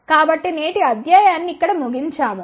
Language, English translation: Telugu, So, we will conclude today's lecture over here